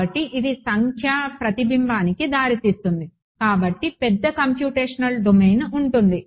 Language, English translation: Telugu, So, it leads to numerical reflection therefore, larger computational domain